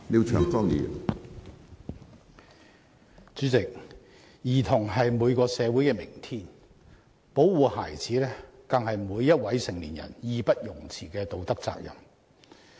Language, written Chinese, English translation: Cantonese, 主席，兒童是每個社會的明天，保護孩子更是每一位成年人義不容辭的道德責任。, President children are the future of every society and protection of children is an unshirkable moral duty of every adult